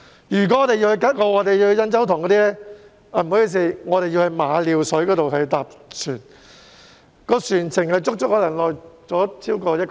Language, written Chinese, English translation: Cantonese, 如果我們要前往吉澳或印洲塘，需要在馬料水乘船，船程可能超過1小時。, If we are to travel to Kat O or Yan Chau Tong we have to take a ferry from Ma Liu Shui for probably over an hour